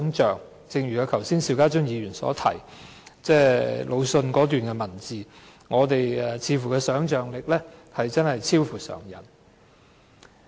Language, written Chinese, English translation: Cantonese, 正如剛才邵家臻議員引述魯迅的一段文字所言，我們的想象力似乎真的超乎常人。, Just as the paragraph written by LU Xun which was quoted by Mr SHIU Ka - chun just now we appear to be more imaginative than ordinary people